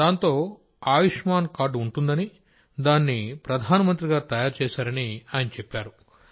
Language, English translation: Telugu, Then he said that there is a card of Ayushman which PM ji made